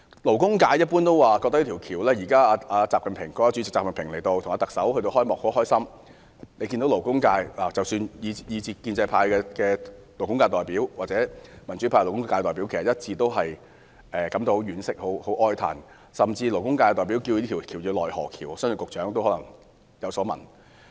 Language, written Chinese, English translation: Cantonese, 勞工界一般的感覺是：現在國家主席習近平和特首主持這條大橋的開幕儀式，當然很高興，但勞工界均一致對工人的傷亡感到哀傷，勞工界代表甚至稱這條大橋為"奈何橋"，相信局長亦有所聞。, The general feeling in the labour sector is that the opening ceremony of the bridge officiated by President XI Jinping and the Chief Executive is of course very happy but the labour sector including representatives of the pro - establishment and the democrats are unanimously saddened by the casualties of workers . The representative of the industry even called it the Naihe Bridge . I believe the Secretary has also heard about it